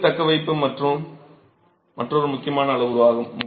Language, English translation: Tamil, Water retentivity is another important parameter